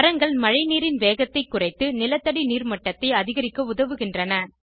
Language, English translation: Tamil, Trees slow down rain water and helps in increasing groundwater level